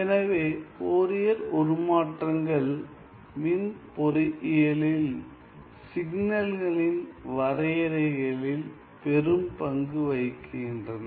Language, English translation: Tamil, So, Fourier transforms are mostly in electrical engineering, Fourier transform are mostly used in the definition of signals